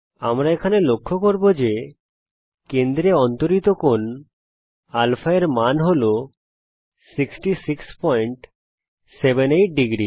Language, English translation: Bengali, We notice that the value of α here subtended at the center is 66.78 degrees